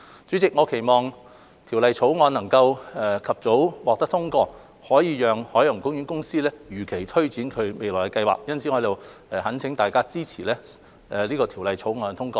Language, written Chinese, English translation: Cantonese, 主席，我期望《條例草案》能及早獲得通過，可以讓海洋公園公司如期推展未來計劃，因此我在此懇請大家支持《條例草案》的通過。, President I hope that the Bill can be passed as soon as possible so that OPC can take forward the future plan as scheduled so I implore Members to support the passage of the Bill